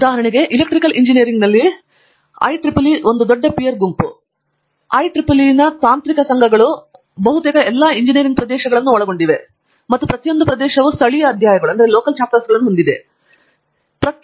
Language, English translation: Kannada, For instance, in Electrical Engineering many of these areas IEEE is a big peer group and the technical societies of the IEEE cover almost all the areas of Engineering and I am sure every area has a similar things that are local chapters, etcetera